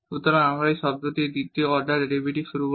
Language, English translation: Bengali, So, we will compute now the second order derivative of this term